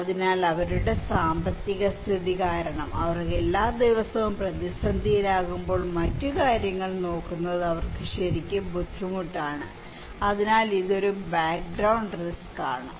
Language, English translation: Malayalam, So, when they are every day at crisis because of their financial condition, it is really tough for them to look into other matter okay, so it is a kind of background risk